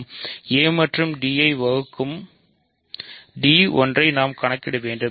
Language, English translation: Tamil, We have to show one that d divides a and d divides b